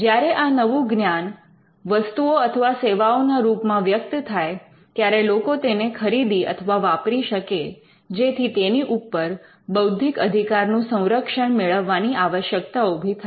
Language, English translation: Gujarati, Now, when the new knowledge manifest itselfs into products and services, which people would buy and use then we require protection by intellectual property